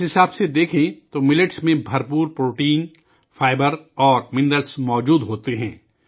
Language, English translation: Urdu, Even if you look at it this way, millets contain plenty of protein, fiber, and minerals